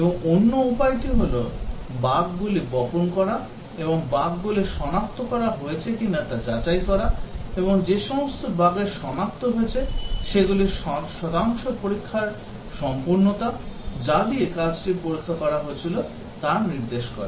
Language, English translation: Bengali, And the other way is to seed bugs and check whether those bugs have got detected, and the percentage of bugs that have got detected indicates the thoroughness of the testing, the thoroughness with which the work has been tested